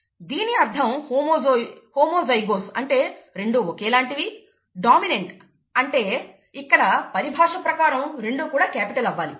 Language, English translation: Telugu, ‘Homozygous’ means both should be the same; ‘dominant’ means, in our terminology, both should be capital, right